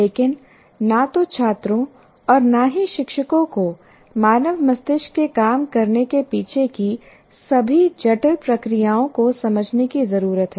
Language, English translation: Hindi, But neither the students or teachers need to understand all the intricate processes behind how human brains work